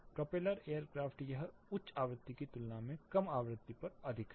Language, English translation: Hindi, Propeller air craft it is more on the low frequency compare to higher one